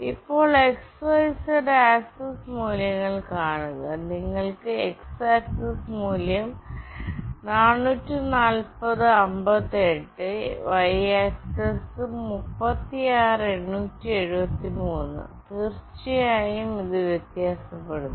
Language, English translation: Malayalam, So now, see the x, y and z axis values, you can see the x axis value is 44058, the y axis is 36873 and of course, it varies